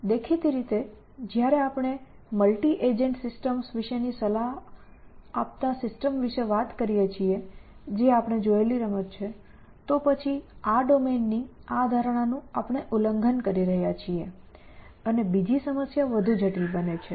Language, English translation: Gujarati, Obviously, when we talk about multi agent systems advisable systems like game playing that we saw, then this domain this assumption we are violating and the other problem becomes more complex essentially